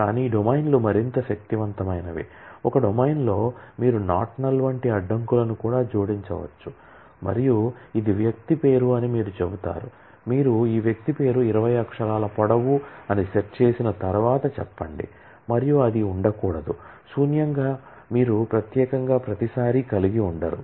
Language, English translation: Telugu, But domains are more powerful in the sense that, in a domain, you can also add constraints like not null and you say that this is person name, say that this once you have set that this person name is 20 characters long and it cannot be null then you do not specifically have to every time